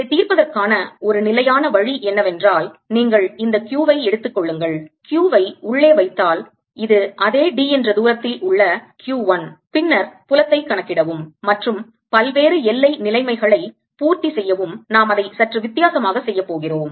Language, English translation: Tamil, a standard way of solving this is that you take this q, put a q inside, which is q one at the same distance d and then calculate the field and satisfy various boundary conditions